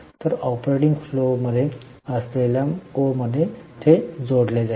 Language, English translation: Marathi, So, in O, that is in the operating flows it is going to be added